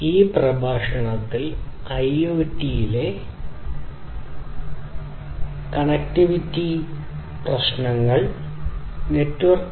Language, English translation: Malayalam, In this lecture, we are going to look at the networking issues in IoT